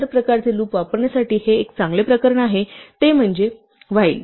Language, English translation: Marathi, This is a good case for using the other type of loop namely while